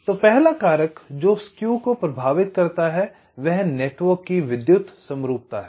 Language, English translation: Hindi, so the first factor that affects the skew is the electrical symmetry of the network